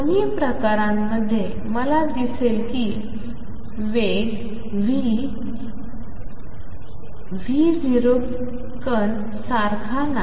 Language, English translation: Marathi, In both the cases I see that the wave speed is not the same as v particle